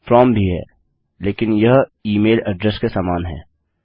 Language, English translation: Hindi, We could say from but this is similar to email address